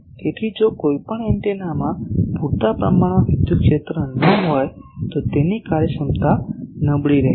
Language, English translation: Gujarati, So, if any antenna is not having sufficient electrical area its efficiency will be poor